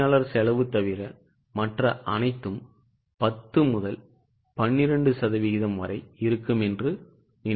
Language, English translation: Tamil, I think everything other than employee cost will be 10 to 12 percent